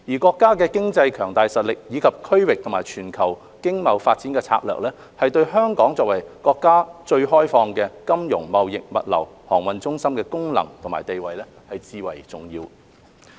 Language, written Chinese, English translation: Cantonese, 國家的經濟強大實力，以及其經貿及全球發展策略，對香港作為國家最開放的金融、貿易、物流航運中心的功能和地位，至為重要。, The remarkable economic performance of the country as well as its economic trade and global development strategies are crucial to Hong Kongs function and status as the countrys most liberal financial trading logistics and shipping centre